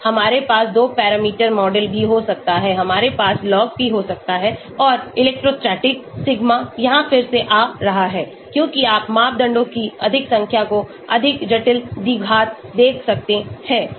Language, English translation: Hindi, We can also have 2 parameter model, we can have Log P and say electrostatic, sigma coming here so again as you can see the more number of parameters more complicated the quadratic